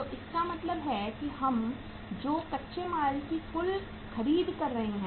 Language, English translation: Hindi, So it means how much total purchase of the raw material we are making